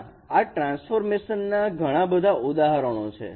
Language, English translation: Gujarati, There are various examples of this transformation